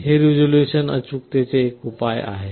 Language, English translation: Marathi, This resolution is a measure of accuracy